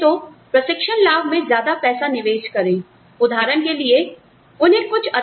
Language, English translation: Hindi, May be, invest more money in the training benefits